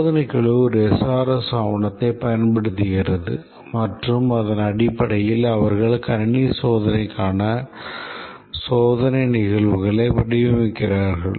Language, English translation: Tamil, The test team uses the SRS document, they take up the SRS document and based on that they design the test cases for the system testing